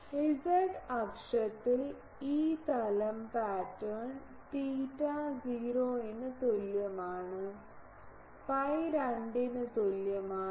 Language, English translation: Malayalam, On the z axis the e plane pattern is theta is equal to 0 is equal to pi by 2